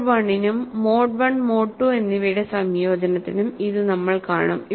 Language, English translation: Malayalam, We will see for the mode 1 as well as combination of mode 1 and mode 2